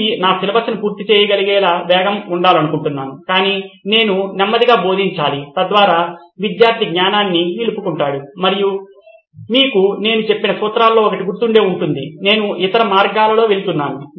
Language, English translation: Telugu, I want to be fast so that I can cover my syllabus but I have to be slow so that the student retains it and if you remember one of the principles I said was going the other way round